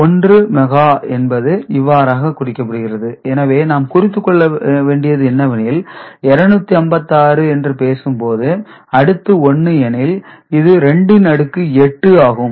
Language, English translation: Tamil, So, 1 mega is represented in this manner, so that is what we take note of and also that there will be when we talk about 256, after 1 it is 2 to the power I mean, 8 0s are there ok